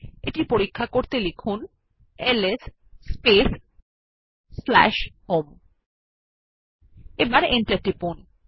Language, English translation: Bengali, Check this by typing ls space /home and press the Enter